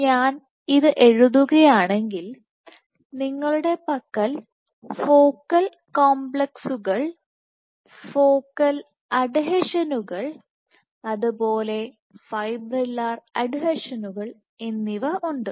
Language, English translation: Malayalam, So, let us say focal complexes you have focal adhesions and let us say fibrillar adhesions